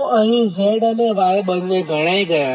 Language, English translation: Gujarati, so z and y, both here computed